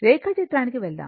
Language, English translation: Telugu, Let us go to the diagram